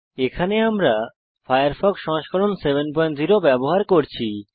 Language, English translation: Bengali, Here we are using Firefox 7.0 on Ubuntu 10.04